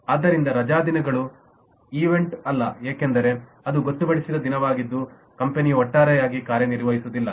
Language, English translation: Kannada, holidays are not event because that is a designated day on which the company does not work as a whole